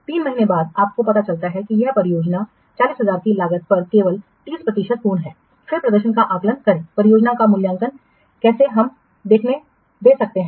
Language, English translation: Hindi, After three months you realize that the project is only 30% complete at a cost of 40,000, then assess the performance of the project